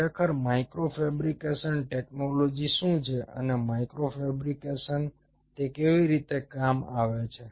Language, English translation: Gujarati, so lets start of with micro fabrication: what is really micro fabrication technology and how it comes very handy in micro fabrication